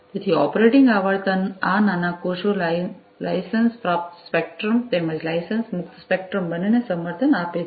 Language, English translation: Gujarati, So, operating frequency you know these small cells support both licensed spectrum as well as licensed exempted spectrum